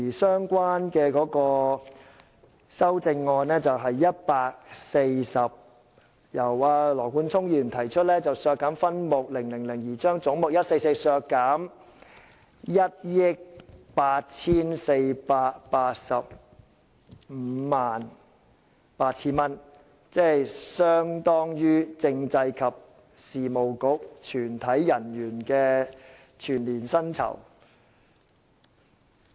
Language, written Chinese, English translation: Cantonese, 相關修正案的編號是 140， 由羅冠聰議員提出，為削減分目000而將總目144削減 184,858,000 元，相當於政制及內地事務局全體人員的全年薪酬。, 140 moved by Mr Nathan LAW proposing that head 144 be reduced by 184,858,000 in respect of subhead 000 which is equivalent to the total annual remuneration of all the staff of the Constitutional and Mainland Affairs Bureau